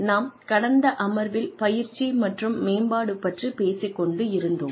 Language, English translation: Tamil, So, in the last session, we were talking about training and development